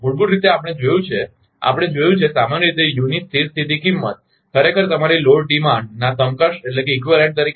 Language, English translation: Gujarati, Basically, we have seen, we have seen that in general, the steady state value of u actually as in equivalent to your load demand